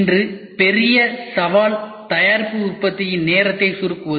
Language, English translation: Tamil, Today the major challenge is shrinking product manufacturing time